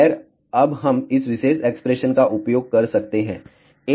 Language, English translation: Hindi, Well, again we can use this particular expression now